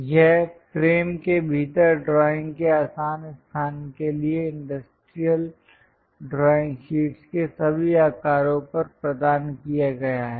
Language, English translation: Hindi, This is provided on all sizes of industrial drawing sheets for easy location of drawing within the frame